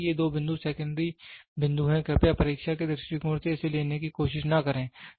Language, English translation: Hindi, See these two points are secondary points, please do not try to take this in the examination point of view